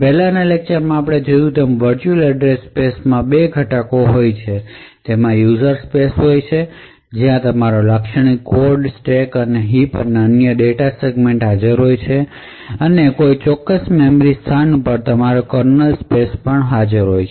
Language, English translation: Gujarati, So the virtual address space as we have seen in the previous lectures comprises of two components, so it comprises of a user space where your typical code stack heap and other data segments are present and above a particular memory location you have the kernel space